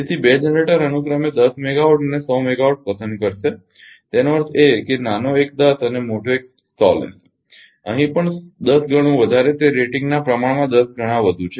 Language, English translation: Gujarati, Therefore two generators would pick up 10 megawatt and 100 megawatt respectively; that means, smaller one will take 10 and larger one 110 times more here also it is 10 times more just in proportion to the rating